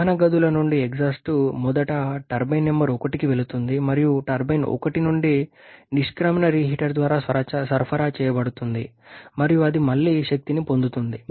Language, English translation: Telugu, The exhaust from the combustion Chambers first goes to the turbine number 1 and the exit from turbine one is supplied through the reheater it is energized again